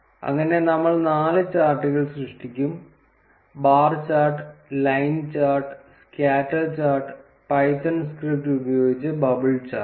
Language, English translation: Malayalam, So, that is how we would create four charts that is bar chart, line chart, scatter chart and bubble chart using the python script